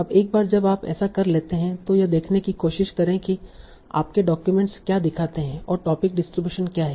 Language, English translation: Hindi, Now, once you have done that, try to see what do your documents look like like what are the topic distributions there